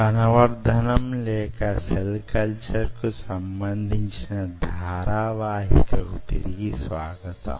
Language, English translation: Telugu, welcome back to the lecture series in ah, cell culture